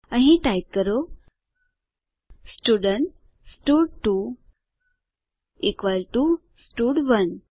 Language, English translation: Gujarati, Here type Student stud2 equal to stud1